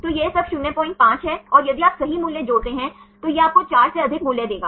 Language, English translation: Hindi, 5 and if you add the values right this is then this will give you the value more than 4